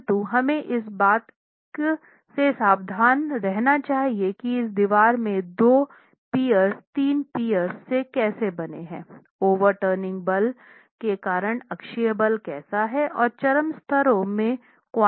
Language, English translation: Hindi, But what we should be careful about is how are these two piers in this wall which is made out of three piers, how is the axial force due to the overturning moment and what is a quantum in the extreme peers